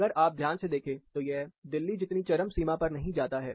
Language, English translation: Hindi, It is not as extreme, if you note closely, as Delhi